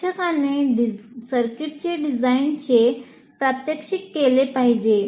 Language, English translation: Marathi, So, the teacher must demonstrate the design of a circuit